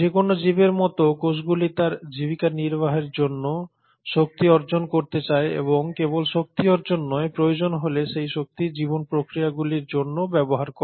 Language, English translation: Bengali, Cells like any living organism would like to acquire energy for its sustenance and not just acquire energy, if the need be, utilise that energy for life processes